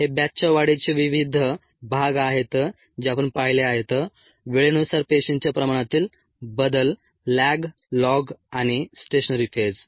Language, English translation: Marathi, these are the various parts of the batch growth that we have seen: the variation of cell concentration with time, the lag, log and the stationary phase